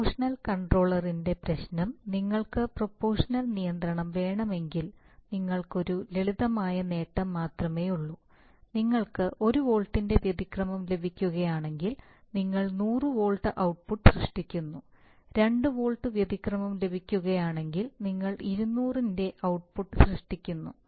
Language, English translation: Malayalam, The problem of proportional control is that, if you want to proportional control is just you have a simple gain and if you get an error of 1 volt you generate a maybe an output of 100 volts if you get a 2 volts you generate output of 200